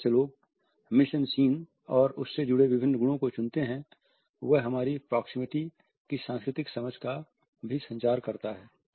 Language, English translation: Hindi, The way people choose the mis en scene and different properties related with it, also communicates our cultural understanding of proximity